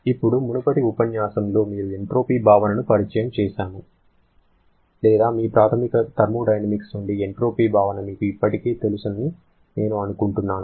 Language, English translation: Telugu, Now, in the previous lecture, you were introduced to the concept of entropy or I should say you already know the concept of entropy from your basic thermodynamics